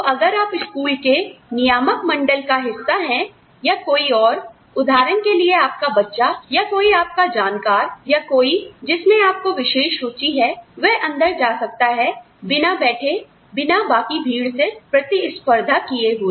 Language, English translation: Hindi, So, if you are part of the governing body of the school, for example your child or somebody known to you, or somebody, who you have a personal interest in, could get in, without sitting through, without competing with the rest of the crowd